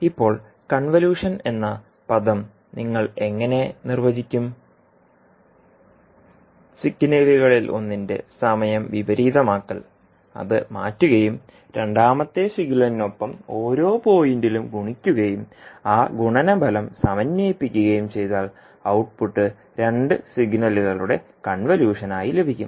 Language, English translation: Malayalam, Now the term convolution, how you will define, the two signals which consists of time reversing of one of the signals, shifting it and multiplying it point by point with the second signal then and integrating the product then the output would be the convolution of two signals